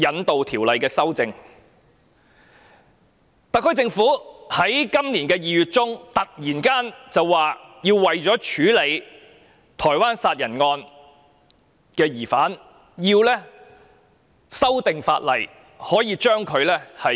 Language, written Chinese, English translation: Cantonese, 特區政府在今年2月中突然提出，為了處理台灣殺人案，當局必須修訂法例，把疑兇引渡至台灣受審。, The SAR Government suddenly announced in February this year that in order to handle a murder case which happened in Taiwan actions had to be taken to amend the law so that the suspect could be surrendered to Taiwan for trial